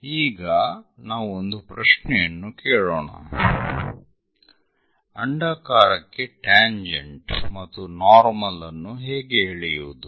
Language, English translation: Kannada, Now, we will ask a question how to draw a tangent and normal to an ellipse